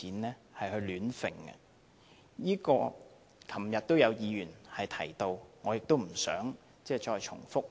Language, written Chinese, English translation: Cantonese, 這點昨天也有議員提到，我不想重複。, This point was made by a Member yesterday and I will not repeat now